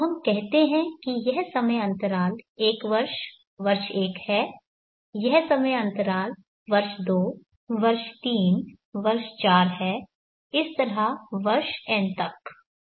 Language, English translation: Hindi, So let us say this time interval is one year, year one this time interval is year two, year three, year four so on up to year n